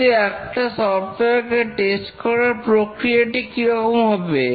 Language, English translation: Bengali, We will now discuss about software testing